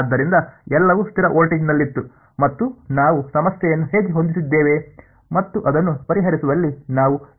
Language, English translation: Kannada, So, everything was at a constant voltage and that is how we had set the problem up and in solving it we had two steps right